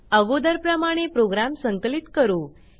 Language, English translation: Marathi, Let us compile the program